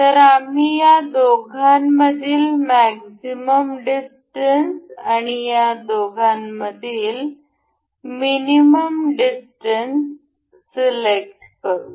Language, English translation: Marathi, So, we will select a maximum distance between these two and a minimum distance between these two